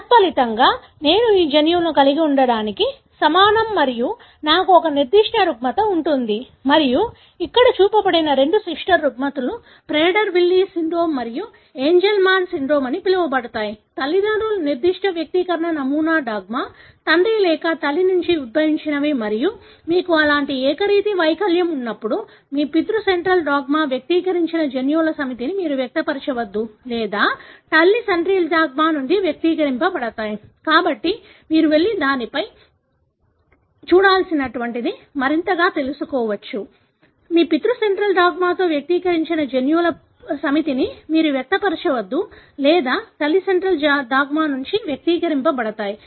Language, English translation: Telugu, As a result, I am equivalent to not having these genes and I may end up having a particular disorder and what is shown here is the two sister disorders called as Prader Willi syndrome and Angelman syndrome are classic examples of imprinting disorders, wherein they show parent specific expression pattern, whether the alleles are derived from father or mother and when you have such Uniparental disomy, either you donÕt express the set of genes that should be expressed in your paternal allele or that are expressed from maternal allele